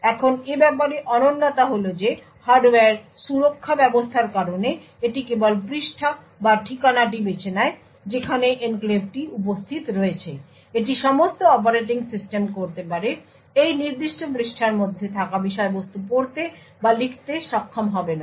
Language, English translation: Bengali, Now the unique thing about this is that due to the hardware protection mechanisms this is just choosing the page or the address where the enclave is present is about all the operating system can do it will not be able to read or write to the contents within that particular page but rather just manage that page